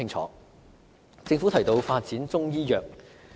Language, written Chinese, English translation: Cantonese, 此外，政府提到發展中醫藥。, Moreover the Government has mentioned the development of Chinese medicine